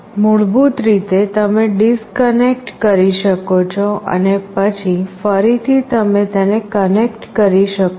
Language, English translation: Gujarati, Basically you can disconnect it and then again you can connect it